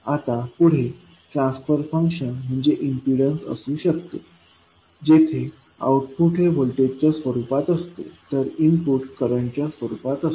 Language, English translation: Marathi, Now, next transfer function can be impedance, where output is in the form of voltage, while input is in the form of current